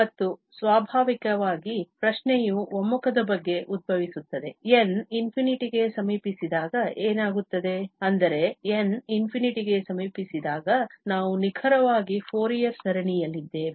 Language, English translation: Kannada, And, naturally the question arises about the convergence that what is happening when n approaches to infinity that means, we are exactly at the Fourier series when n approaches to infinity